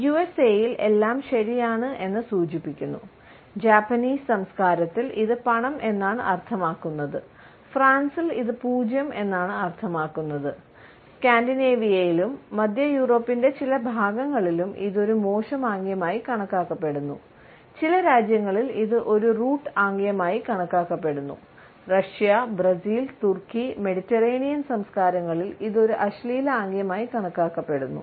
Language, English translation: Malayalam, In the USA, it signals that everything is ‘okay’, in Japanese culture it means ‘money’, in France it may mean ‘zero’, in Scandinavia and certain parts of Central Europe it is considered as a vulgar gesture, in some countries it is considered to be a root gesture, in Russia, Brazil, Turkey and the Mediterranean cultures, it is considered to be an obscene gesture